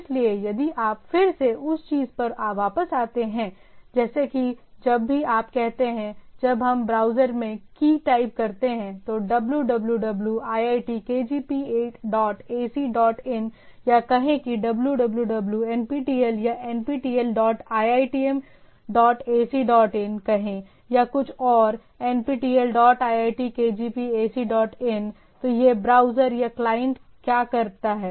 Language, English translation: Hindi, So, if you again come back to the thing, like whenever you say, when we type key in into the browser say “www iit kgp dot ac dot in” or say “www nptel” or say “nptel dot iitm dot ac dot in” or something, “nptel dot iit kgp ac dot in”, so what the this browser or the client does